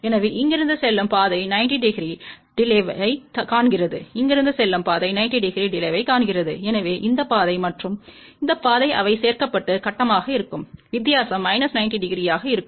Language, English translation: Tamil, So, path from here sees a 90 degree delay, path from here also sees a 90 degree delay; so, this path and this path they will get added up and phase difference will be minus 90 degree